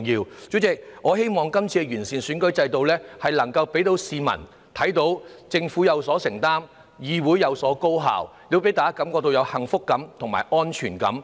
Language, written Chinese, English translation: Cantonese, 代理主席，我希望今次完善選舉制度能夠讓市民看到政府有所承擔、議會處事高效，亦令大家感覺到幸福感和安全感。, I hope that after this exercise on improving the electoral system there will be more such occasions where an effective legislature and a highly efficient government can work together to resolve problems for members of the public